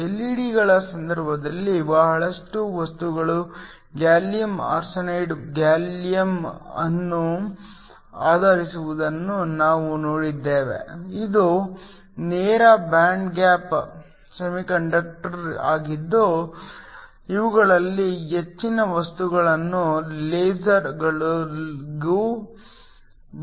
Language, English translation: Kannada, We saw that in the case of LEDs are lot of materials was based upon gallium arsenide which is a direct bind gap semiconductor most of these materials can also be used for lasers